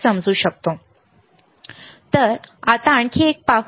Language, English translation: Marathi, Now, let us see another one